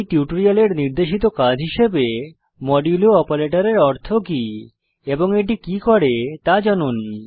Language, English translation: Bengali, As an assignment for this tutorial Find out what is meant by the modulo operator and what it does